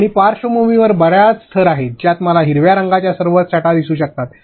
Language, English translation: Marathi, And background there is so many layers I can see all shades of green